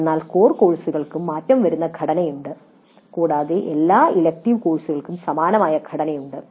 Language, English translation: Malayalam, All core courses have variable structures and all elective courses have identical structure